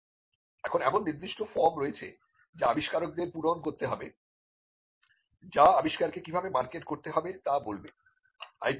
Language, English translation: Bengali, Now there are specific forms that has to be filled by the inventors which would tell how to market the invention